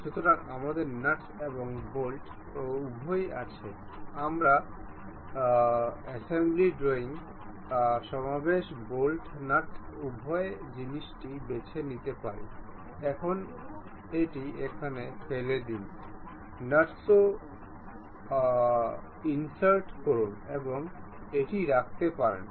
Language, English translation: Bengali, So, we have both nut and bolt, we can go with assembly drawing, assembly, ok, pick bolt nut both the things, drop it here, insert nut also and keep it